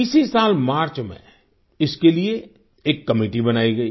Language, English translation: Hindi, This very year in March, a committee was formed for this